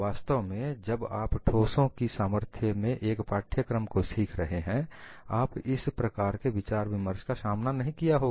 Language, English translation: Hindi, In fact, when you are learning a course in strength of materials, you would not have come across discussions like this